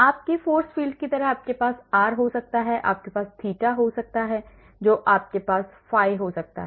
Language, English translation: Hindi, Like in your force field you may have r you may have theta you may have phi